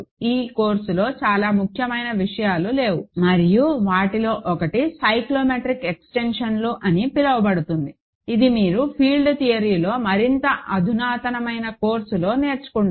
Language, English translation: Telugu, Very important things are not there in this course and one of those is called cyclotomic extensions, which you learn in a more advanced course in field theory